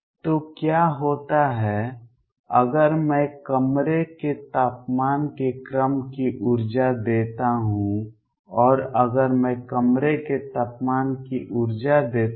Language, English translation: Hindi, So, what happens is if I give energy of the order of room temperature, and if I give the energy of room temperature